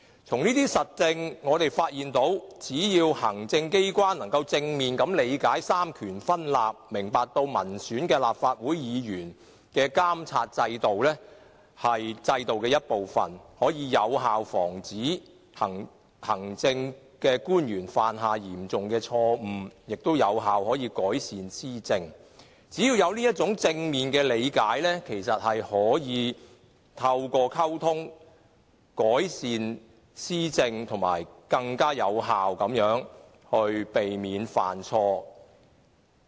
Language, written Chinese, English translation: Cantonese, 從這些實證中，我們發現只要行政機關可以正面理解三權分立，明白民選立法會議員的監察制度是制度的一部分，便可以有效防止行政官員犯下嚴重錯誤，亦可有效改善施政，只要有這種正面的理解，便可以透過溝通改善施政，以及更有效地避免犯錯。, Based on these practical examples we discover that if the executive has a positive understanding of the separation of powers and that the monitoring by elected Members of the Legislative Council is regarded as part of the system to effectively prevent administrative governmental officials from making serious mistakes and improve administration administration can be improved through communication and mistakes can be effectively pre - empted